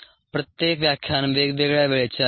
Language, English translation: Marathi, the each lecture would be a variable time